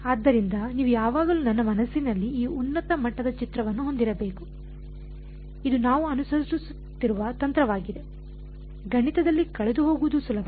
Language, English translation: Kannada, So, you should always have this high level picture in that mind that this is the strategy, that we are following otherwise, its easy to get lost in math all right clear